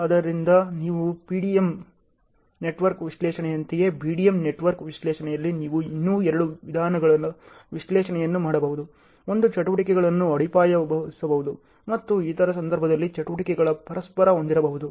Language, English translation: Kannada, So, in the BDM network analysis just like your PDM network analysis you can still do two ways of analysis; one is the activities can be interrupted and the other cases activities can be contiguous